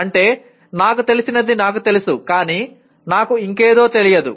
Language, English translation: Telugu, That is I know what I know but I do not know something else